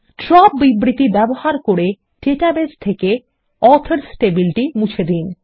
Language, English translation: Bengali, Drop the Authors table from the database, by using the DROP statement